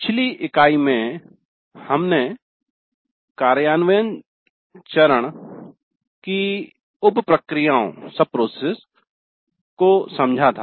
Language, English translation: Hindi, In the last unit we understood the sub processes of implement phase